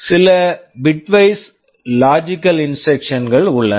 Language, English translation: Tamil, There are some bitwise logical instructions